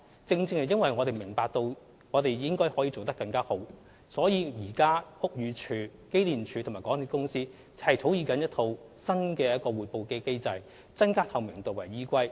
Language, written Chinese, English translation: Cantonese, 正正因為我們明白我們應可做得更好，屋宇署、機電署及港鐵公司現正草擬一套新的通報機制，以增加透明度為依歸。, We well understand that there should be room for further improvement . Hence BD EMSD and MTRCL are working together to formulate a new reporting mechanism seeking primarily to enhance transparency